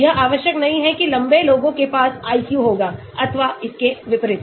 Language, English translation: Hindi, it need not be that tall people will have IQ or vice versa